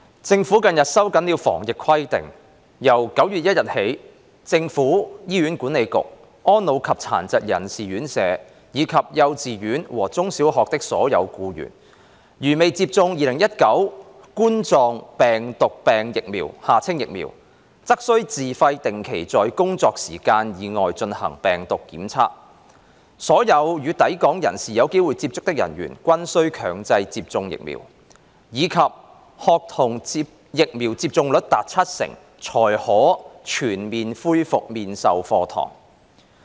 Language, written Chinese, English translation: Cantonese, 政府近日收緊了防疫規定，由9月1日起，政府、醫院管理局、安老及殘疾人士院舍，以及幼稚園和中小學的所有僱員，如未接種2019冠狀病毒病疫苗，則須自費定期在工作時間以外進行病毒檢測；所有與抵港人士有機會接觸的人員均須強制接種疫苗；以及學童疫苗接種率達七成才可全面恢復面授課堂。, Recently the Government has tightened the anti - epidemic requirements . With effect from 1 September all employees of the Government the Hospital Authority HA residential care homes for the elderly and for persons with disabilities as well as kindergartens primary and secondary schools are required to take virus tests outside working hours at their own expenses regularly if they have not been administered the Coronavirus Disease 2019 vaccines ; all personnel who may come into contact with inbound travellers are subject to compulsory vaccination; and face - to - face classes may resume fully only if the vaccination rate among schoolchildren has reached 70 %